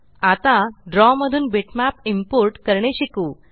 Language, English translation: Marathi, Now lets learn how to import a bitmap into Draw